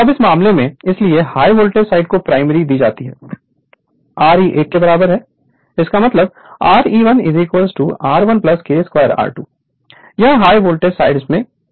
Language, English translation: Hindi, Now, so in this case, so preferred to high voltage side your Re 1 is equal Re 1 is equal to R 1 plus K square R 2 it is referred to high voltage side